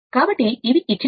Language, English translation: Telugu, So, if; that means, these are the data given